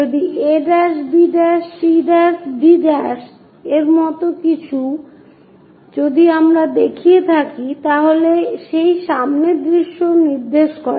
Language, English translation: Bengali, If something like a’, b’, c’, d’, if we are showing it indicates that front view